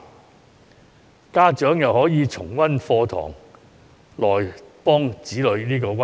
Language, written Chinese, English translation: Cantonese, 此外，家長亦可以重溫課堂內容，幫助子女溫習。, Besides parents can review the contents covered in class to help their children in revision